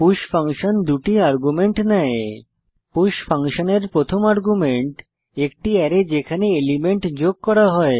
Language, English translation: Bengali, push function takes 2 arguments 1st argument to the push function, is the Array in which to add an element